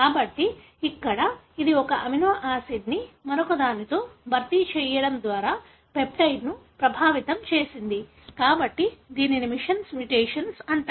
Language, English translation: Telugu, So therefore, here it has affected the peptide by replacing one amino acid with the other, therefore it is called as missense mutation